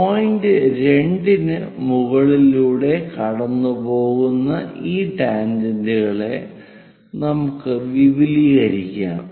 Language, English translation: Malayalam, Let us extend this tangent which is passing through point 2 all the way up